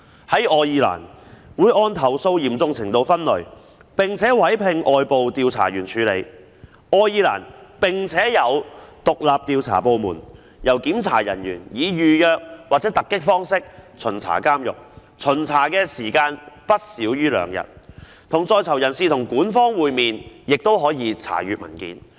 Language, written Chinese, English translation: Cantonese, 在愛爾蘭，會按投訴嚴重程度分類，並委聘外部調查員處理；愛爾蘭並設有獨立調查部門，由檢查人員以預約或突擊方式巡查監獄，巡查時間不少於2天，與在囚人士及管方會面，亦可以查閱文件。, An independent investigation department has also been put in place in Ireland . Inspectors will inspect the prisons by appointment or on a surprise basis . An inspection will last not less than two days during which they will meet with prisoners and the management and they can also have access to the documents